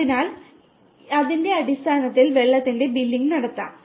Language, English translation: Malayalam, So, based on that the billing for water can be done